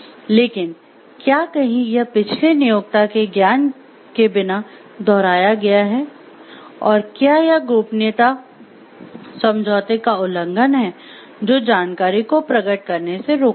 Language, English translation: Hindi, But somewhere it has been replicated without the knowledge of the in this previous employer, and it is the, and violation of the secrecy agreement, that prohibits is divulging of information